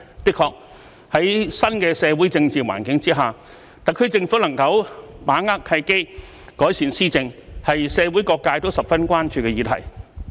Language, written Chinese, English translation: Cantonese, 的確，在新的社會政治環境之下，特區政府能否把握契機，改善施政，是社會各界都十分關注的議題。, Indeed under the new social and political environment whether the SAR Government can seize the opportunities to improve governance is a matter of concern to various sectors of society